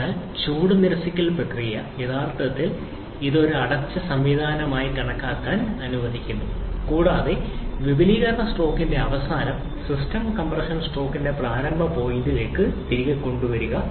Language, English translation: Malayalam, So, the heat rejection process actually allows it to be considered as a closed system and get the system at the end of expansion stroke back to the initial point of the compression stroke